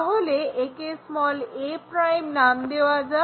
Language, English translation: Bengali, So, let us call this' as a'